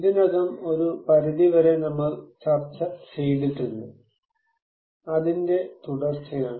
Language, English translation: Malayalam, We already discussed it at some extent so, I will continue that one